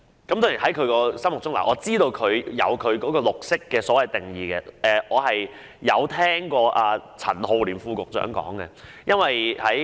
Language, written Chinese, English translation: Cantonese, 當然，我知道它心目中有其對"綠色"的定義，而我亦曾聽過陳浩濂副局長的解說。, Certainly I know that in its mind it has its own definition of green and I have also listened to the explanation by Under Secretary Joseph CHAN